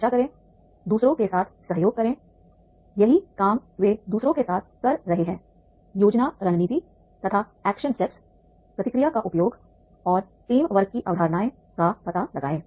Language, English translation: Hindi, Discuss collaborate with others, that is the how they are working with others and plan strategies and action steps use feedback and explore the concept of teamwork